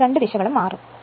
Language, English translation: Malayalam, So, both directions are changing